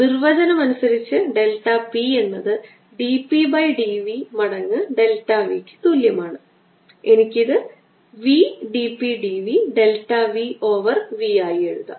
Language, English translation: Malayalam, by definition, delta p is equal to d p, d v times delta v, which i can write it as b d p, d v, delta p over v